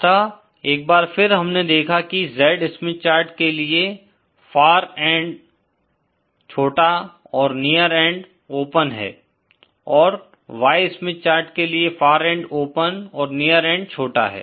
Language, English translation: Hindi, So, once again for the Z Smith chart we saw that the far end is short, near end is open and for the Y Smith chart far end is open and near end is short